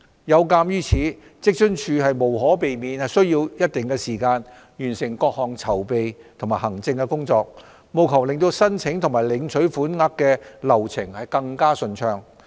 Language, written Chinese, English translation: Cantonese, 有鑒於此，職津處無可避免需要一定時間完成各項籌備及行政工作，務求令申請及領取款額的流程更順暢。, In view of this it will take some time for WFAO to complete all the preparatory and administrative work so as to ensure smooth processing of applications and payment